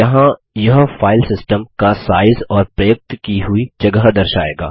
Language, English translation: Hindi, Here it shows the size of the File system, and the space is used